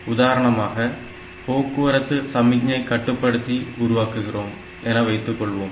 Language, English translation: Tamil, For example if I am doing a traffic light controller example